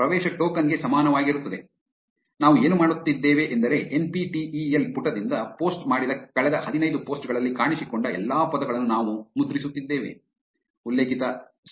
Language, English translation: Kannada, So, what we are doing is we are printing all the words that appeared in the last fifteen posts posted by the NPTEL page